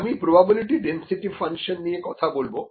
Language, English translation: Bengali, So, one of the ways is the probability density function